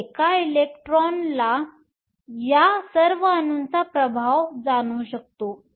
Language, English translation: Marathi, And an electron can feel the influence of all of these atoms